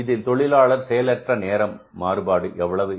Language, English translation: Tamil, Labor idle time variance is how much